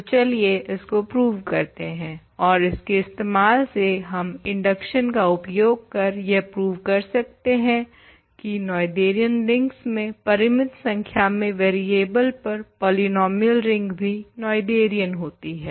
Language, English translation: Hindi, So, let us prove this and using this of course, we can apply induction to prove that ring polynomial ring in finitely many variables over a Noetherian ring is also Noetherian